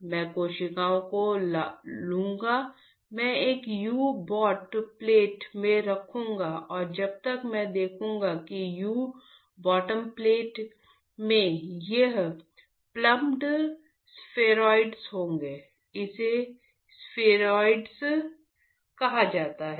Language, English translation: Hindi, So, I will take the cells, I will put in a U bottom plate and after while I will see that the U bottom plate will have these plumped spheroids, it is called spheroids